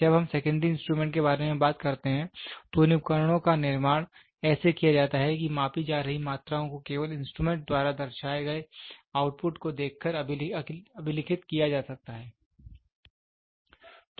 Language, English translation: Hindi, When we talk about secondary instruments, these instruments are so constructed that the quantities being measured can only be recorded by observing the output indicating by the instrument